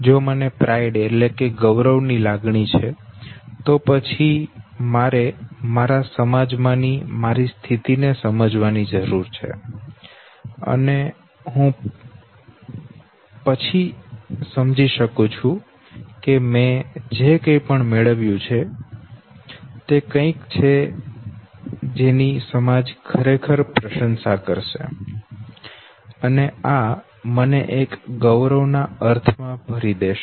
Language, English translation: Gujarati, If I have a sense of pride okay, then also I need to understand my position in my society and then I understand that fine, whatever I have acquired is something that the society you would know really appreciate and this would fill me with a sense of pride